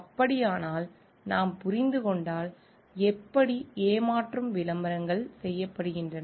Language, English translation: Tamil, So, how if we understand, how deceptive advertisements are done